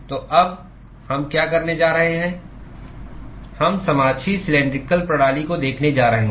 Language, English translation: Hindi, So, now, what we are going to do is, we are going to look at the coaxial cylindrical system